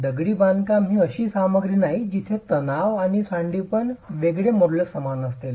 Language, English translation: Marathi, Masonry is not a material where the modulus of elasticity is same in tension and compression